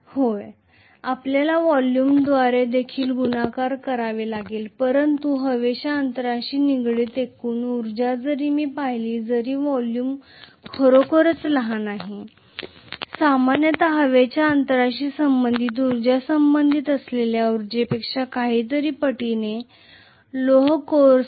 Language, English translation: Marathi, Yes, you have to multiply by the volume also but if I look at the overall energy that is associated with the air gap although the volume is really really small, generally the energy associated with the air gap is going to be outweighing whatever is the energy associated with the iron core